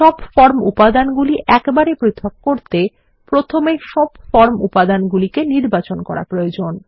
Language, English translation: Bengali, To ungroup all the form elements in one shot, we need to first select all the form elements